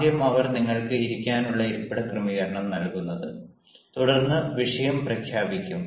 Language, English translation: Malayalam, they provide you are the seating arrangement where you can sit, and then the topic is announced